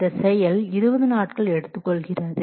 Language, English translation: Tamil, This activity takes 20 days